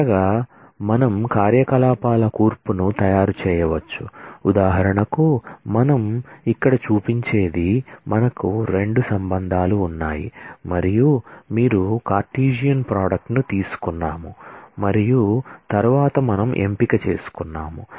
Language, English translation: Telugu, Finally, we can make composition of operations that if for example, what we show here is we have 2 relations r and s you have taken a Cartesian product and then we have taken a selection